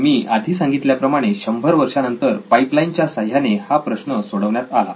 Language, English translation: Marathi, So as I have saying a 100 years later this problem was solved with pipelines